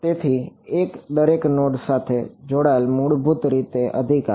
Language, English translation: Gujarati, So, one attached to each node basically right